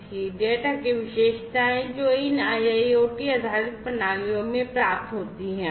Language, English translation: Hindi, The characteristics of the data, that are received in these IIoT based systems